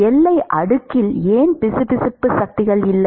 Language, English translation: Tamil, Why in the boundary layer it is not viscous forces